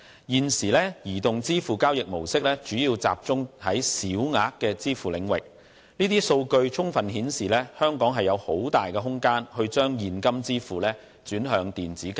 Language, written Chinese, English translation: Cantonese, 現時移動支付交易模式主要集中在小額支付領域，這些數據充分顯示，香港有很大的空間將現金支付轉向電子交易。, Currently mobile payment is used mainly in small - value transactions . These statistics fully illustrated that there is a lot of room for turning cash payments into electronic transactions in Hong Kong